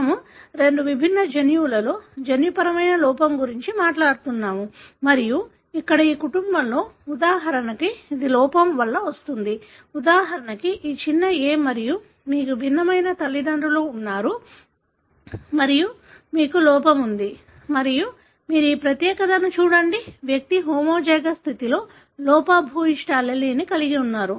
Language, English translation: Telugu, We are talking about a genetic defect in two different genes and here in this family for example, it is resulting from defect in, for example this small ‘a’, and you have a heterozygous parents and you have defect and you look at this particular individual, who is having the defective allele in homozygous condition